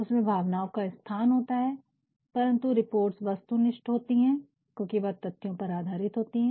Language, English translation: Hindi, It is very much subjective, emotion has got a place in it, but reports are objective because they are based on facts